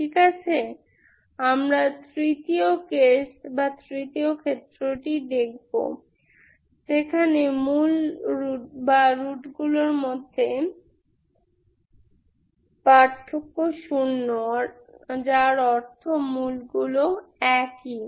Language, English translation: Bengali, Ok we will see the third case that is when the difference between the roots is zero, same, zero that means roots are same